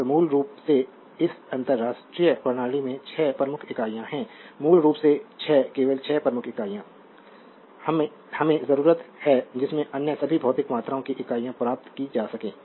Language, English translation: Hindi, So, basically in this international system there are 6 principal units basically 6 only 6 principal unit, we need from which the units of all other physical quantities can be obtain right